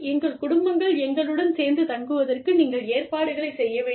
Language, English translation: Tamil, You have to make arrangements, for our families, to be close to us